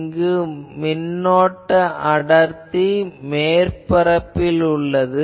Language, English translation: Tamil, Here the current density is on the surface